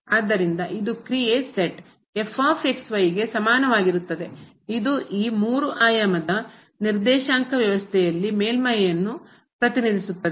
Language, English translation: Kannada, So, this is the function is equal to which represents the surface in this 3 dimensional coordinate system